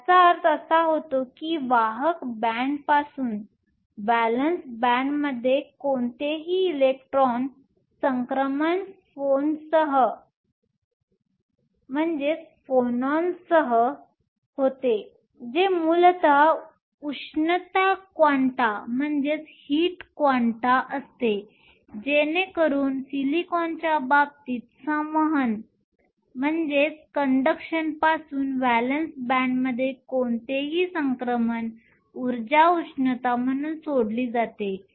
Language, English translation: Marathi, This means that any electron transition from the conduction band to the valence band is accompanied by phonons which are essentially heat quanta, so that any transition in the case of silicon from the conduction to the valence band, the energy is released as heat